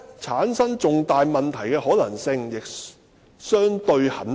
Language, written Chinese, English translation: Cantonese, 產生重大問題的可能性亦相對很低。, Substantial difficulties in applying in the MPA would be rather unlikely